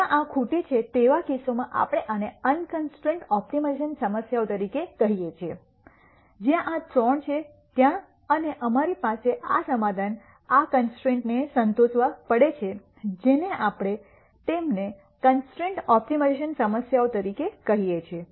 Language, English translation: Gujarati, In cases where this is missing we call this as unconstrained optimization problems, in cases where this is there and we have to have the solution satisfy these constraints we call them as constrained optimization problems